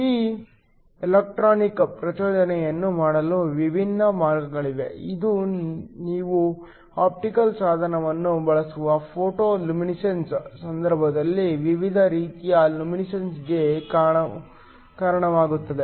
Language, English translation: Kannada, There are different ways of doing this electronic excitation which leads to different kinds of luminescence in the case of photo luminescence you use an optical means